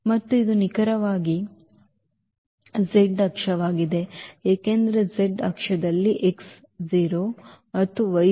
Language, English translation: Kannada, And this is exactly the z axis because on the z axis the x is 0 and y is 0